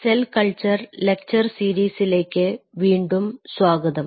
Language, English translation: Malayalam, Welcome back to the lecture series in a Cell Culture